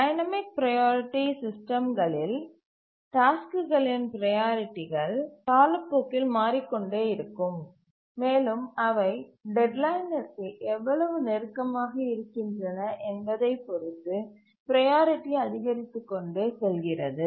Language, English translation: Tamil, In the dynamic priority systems, the priorities of the tasks keep on changing with time depending on how close there to the deadline the priority keeps increasing